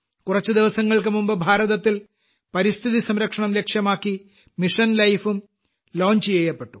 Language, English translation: Malayalam, A few days ago, in India, Mission Life dedicated to protect the environment has also been launched